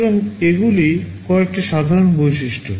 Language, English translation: Bengali, So, these are some of the common features